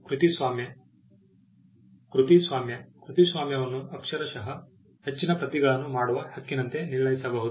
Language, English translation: Kannada, Copyright: Copyright can literally be construed as the right to make further copies